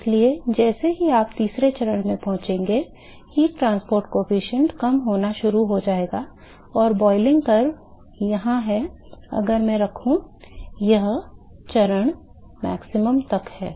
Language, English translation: Hindi, So, therefore, the heat transport coefficient will start decreasing as soon as you reach the third stage and the boiling curve here is if I put